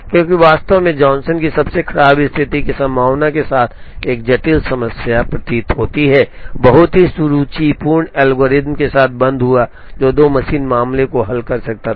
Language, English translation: Hindi, Because, what appears to be a complicated problem with the worst case possibility of n factorial Johnson came off with the very, very elegant algorithm, which could solve the 2 machine case